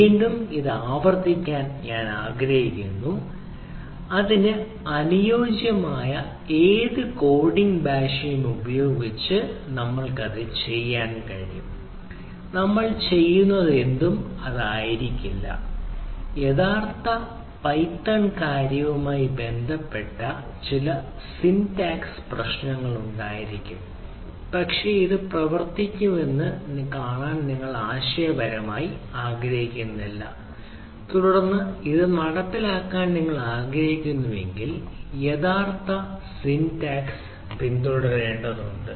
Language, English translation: Malayalam, that ah you can do with any coding language which is ah suitable for this, and whatever we are doing may not be, there may be some syntactical problem with the actual python thing, but it doesnt matter the conceptually you want to show that things works and then actual syntactical syntax need to be followed if you are really want to implement this right